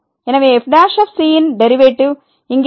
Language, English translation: Tamil, Now, what is the derivative